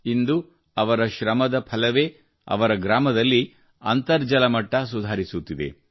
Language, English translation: Kannada, Today, the result of his hard work is that the ground water level in his village is improving